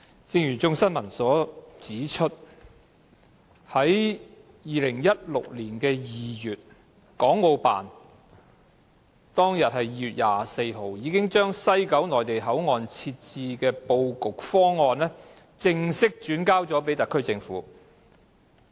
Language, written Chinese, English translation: Cantonese, 正如《眾新聞》指出，在2016年2月24日，國務院港澳事務辦公室已把西九龍站的內地口岸設置布局方案，正式轉交特區政府。, As pointed out in a news report published in Hong Kong Citizen News the Hong Kong and Macao Affairs Office of the State Council officially passed the layout scheme of the Mainland Port Area to be set up at West Kowloon Station to the HKSAR Government on 24 February 2016